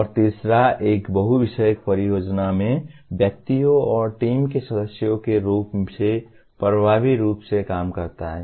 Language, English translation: Hindi, And the third one, work effectively as individuals and as team members in multidisciplinary projects